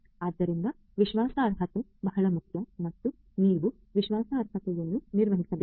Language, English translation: Kannada, So, trustworthiness is very important and you have to manage the trust worthiness